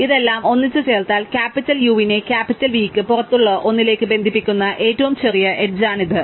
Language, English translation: Malayalam, So, putting all this to together, this is the smallest edge which connects capital U to something outside capital V